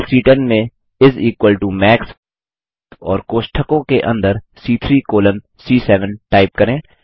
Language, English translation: Hindi, In the cell C10 lets type is equal to MAX and within braces C3 colon C7